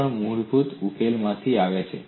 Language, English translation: Gujarati, That also comes from this basic solution